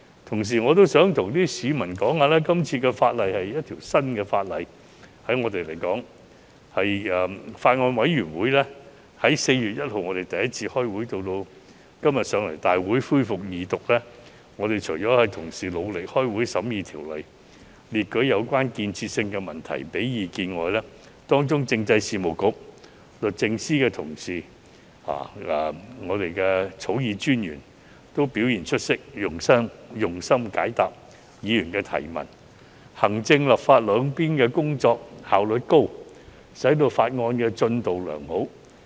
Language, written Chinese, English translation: Cantonese, 同時，我想告訴市民，對我們而言，今次的法例是全新的，法案委員會在4月1日第一次舉行會議，至今天提交大會恢復二讀，除了同事努力舉行會議審議《條例草案》、列舉有建設性問題及提供意見外，政制及內地事務局、律政司的同事和我們的法律顧問均表現出色，用心解答議員提問，行政、立法兩方面的工作效率高，使法案進度良好。, Meanwhile I would like to tell members of the public that the current piece of legislation is brand new for us . From the first Bills Committee meeting on 1 April to the tabling of the Bill for Second Reading in this Council today apart from Members efforts in convening meetings for the scrutiny of the Bill raising constructive questions and expressing their views colleagues in the Constitutional and Mainland Affairs Bureau the Department of Justice and our Legal Adviser have all also showed outstanding performance . They have been very helpful in answering Members questions and have worked efficiently on both the executive and legislative fronts to facilitate the progress of the Bill